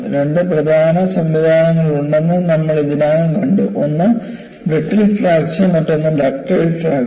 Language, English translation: Malayalam, We have already noticed, that there are 2 important fracture mechanisms; one is brittle fracture; another is ductile fracture